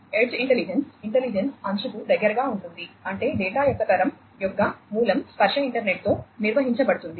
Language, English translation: Telugu, So, edge intelligence, intelligence close to the edge; that means, the source of generation of the data are going to be performed with tactile internet